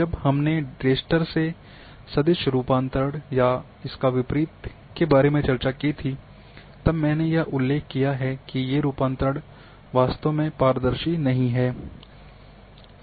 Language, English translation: Hindi, When we discussed about raster to vector conversion or vice versa at that time I mentioned that these conversions,transformations are not truly transparent